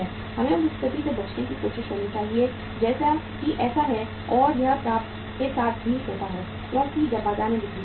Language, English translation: Hindi, We should try to avoid this situation as is the so and it happens with the receivables also because when the fastly when the when the sales are there in the market